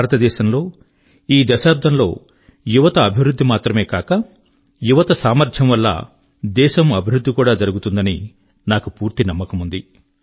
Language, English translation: Telugu, I am of the firm belief that for India, this decade will be, not only about development & progress of the youth; it will also prove to be about the country's progress, harnessing their collective might